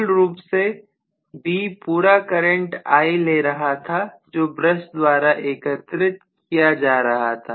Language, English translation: Hindi, Originally B was carrying the current entire current I which was being collected by the brush